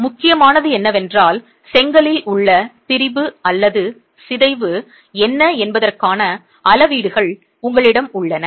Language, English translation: Tamil, So, what is important is that you have measurements of what is the strain or deformation in the brick